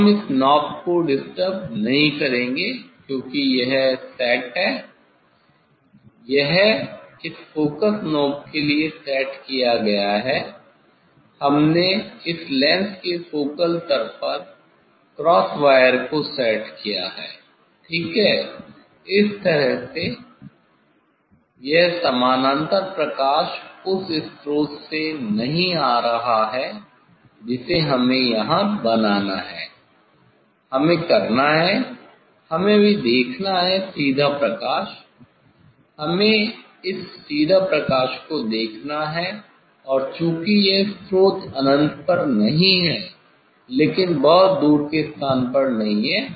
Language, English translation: Hindi, now, we will not disturb this knob, because this is set; this is set for this focusing knob, we have set the cross wire at the focal plane of this lens ok, in this way Now, this parallel light is not coming from the source we have to make so here, we have to; we have to see this now, direct light we have to see this direct light and since it is not this source is not at infinity, but not at very distant place